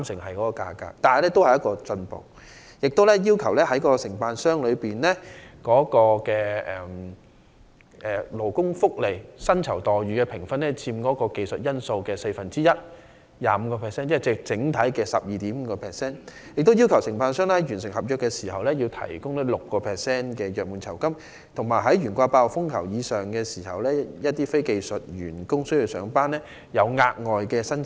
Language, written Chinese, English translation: Cantonese, 此外，施政報告亦建議將承辦商的勞工福利和薪酬待遇的評分訂為佔技術因數四分之一，即整體的 12.5%， 並在完成合約時提供 6% 的約滿酬金，以及在懸掛8號風球或以上時向須上班的非技術員工提供"工半"的額外薪酬。, Besides the Policy Address also proposes to set the weighting of a contractors scores in employee benefits and remuneration packages at one - fourth or 25 % of the technical factor to grant a contract - end gratuity at a rate of 6 % and to pay wages of 1.5 times the normal wages to non - skilled workers who are required to remain on duty when Typhoon Signal No . 8 or above is hoisted